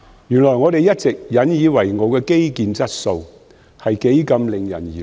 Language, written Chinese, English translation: Cantonese, 原來，我們一直引以為傲的基建質素是多麼惹人疑慮。, I have come to realize that the quality of infrastructural projects in which we have taken pride all along is so very worrying